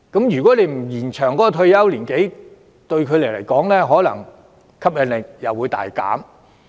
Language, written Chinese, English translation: Cantonese, 如果不延展退休年齡，對他們的吸引力可能也會大減。, If the retirement age is not extended these positions may become much less attractive to them